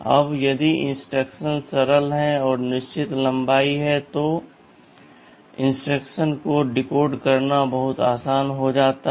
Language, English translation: Hindi, Now if the instructions are simple they are fixed length, then decoding of the instruction becomes very easy